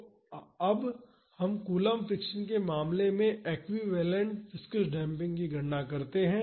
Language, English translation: Hindi, So, now let us calculate the equivalent viscous damping in the case of coulomb friction